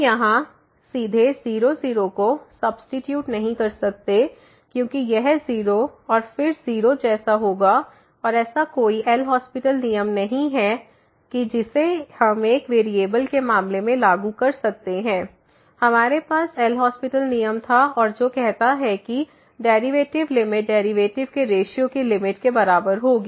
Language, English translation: Hindi, We cannot just directly substitute here because this will be like a 0 and then 0 here and there is no such an L'Hospital rule which we can apply in case of one variable we had the L'Hospital rule and which says that the derivative this limit will be equal to the limit of the ratio of the derivatives